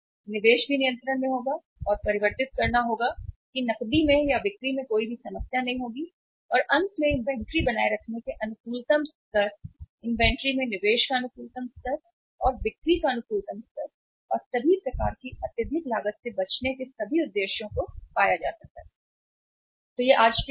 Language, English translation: Hindi, Investment will also be under control and converting that into cash or into sales will also not be a problem and finally all the objectives of optimum level of maintaining inventory, optimum level of investment in inventory and optimum level of sales and avoiding all kind of excessive cost can be achieved